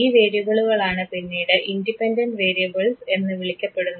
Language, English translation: Malayalam, These are those variables which affects the relationship between the independent and the dependent variable